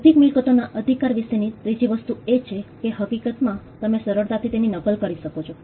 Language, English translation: Gujarati, The third thing about an intellectual property right is the fact that you can easily replicate it